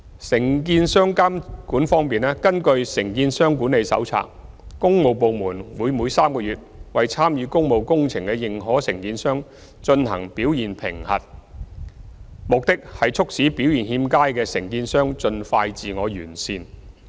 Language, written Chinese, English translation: Cantonese, 承建商監管方面，根據《承建商管理手冊》，工務部門會每3個月為參與工務工程的認可承建商進行表現評核，旨在促使表現欠佳的承建商盡快自我完善。, Regarding the supervision of the works of contractors the works departments will conduct a performance assessment on the approved contractors for public works every three months in accordance with the Contractor Management Handbook with a view to speeding up the self - improvement of those contractors with unsatisfactory performance